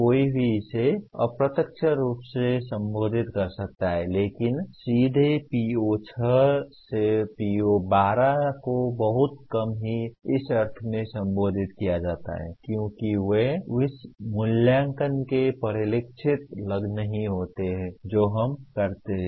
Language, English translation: Hindi, One can justify some indirect addressing of this but directly PO6 to PO12 are very rarely addressed in the sense they do not get reflected in the assessment that we perform